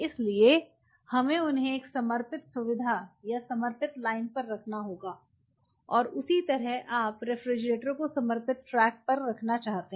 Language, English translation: Hindi, So, we have to have them on dedicated facility or dedicated line, and same way you want the refrigerator to be on the dedicated track